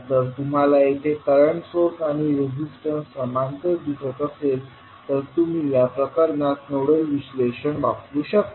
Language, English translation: Marathi, If you see here the current source and the resistances are in parallel so you can use nodal analysis in this case